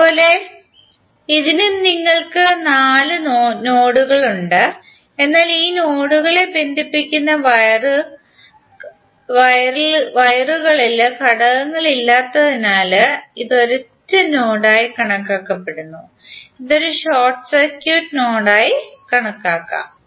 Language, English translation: Malayalam, Similarly for this also you have four nodes but it is consider as a single node because of the wires which are connecting this nodes are not having any elements and it can be consider as a short circuit node